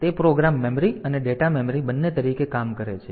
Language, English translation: Gujarati, So, it acts both as program memory and data memory